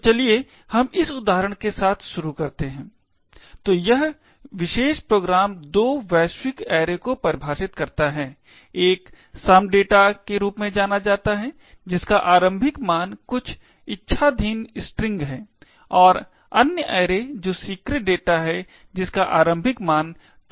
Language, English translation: Hindi, this particular program defines two global arrays, one is known as some data which is initialised to some arbitrary string and other array which is secret data which is initialised to topsecret